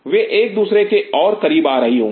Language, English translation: Hindi, They will not be coming close to each other